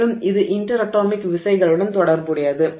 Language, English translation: Tamil, So, this is related to the interatomic forces